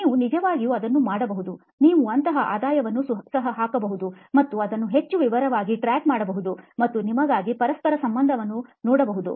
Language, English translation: Kannada, You can actually do that, you can even put a revenue something like that and actually track it much more in detail and see the correlation for yourself